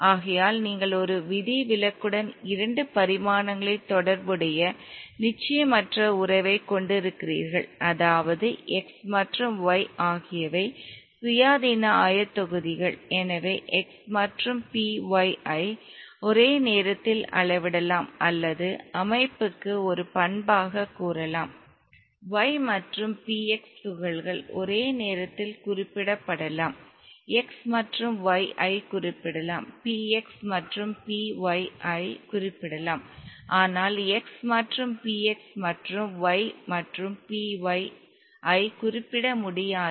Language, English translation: Tamil, Now exactly the same statement can be extended to particle in a a two dimensional box except that now you have x and y as two independent coordinates PX and PY as two independent coordinates therefore you have a corresponding uncertainty relation in two dimensions with one exception namely X and y are independent coordinates therefore x and p y can be simultaneously measured or can be ascribed as a property to the system y and p x can be simultaneously specified for the particle, x and y can be specified, px and p y can be specified but not x and p x and p x and y and p y and p y